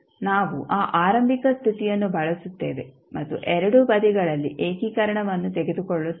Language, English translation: Kannada, We use that particular initial condition and take integration at both sides